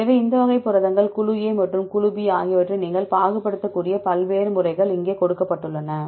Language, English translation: Tamil, So, here these are the various methods you can discriminate these types of proteins group A and group B